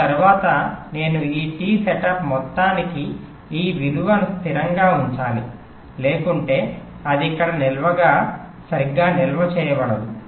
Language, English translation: Telugu, after that i must keep this value stable, minimum for this t setup amount of time, otherwise it not getting stored properly here